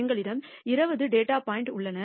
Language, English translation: Tamil, We have 20 data points